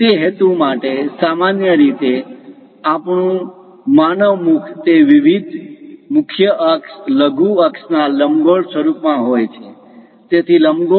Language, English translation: Gujarati, For that purpose, usually our human mouth it is in elliptical format of different major axis, minor axis; so for an ellipse